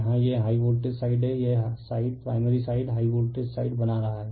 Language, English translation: Hindi, Here it is high voltage side just this is in this side your making primary side